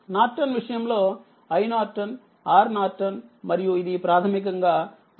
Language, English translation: Telugu, In the case of Norton, i N, R N, and this is basically R L say